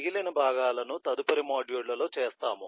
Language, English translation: Telugu, remaining parts will be done in the subsequent modules